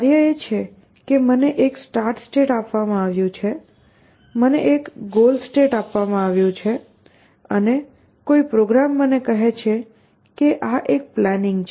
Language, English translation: Gujarati, The task is that I have been given a start state, I have been given a goal state and somebody tells me that, this is a plan somebody meaning some program that I have attend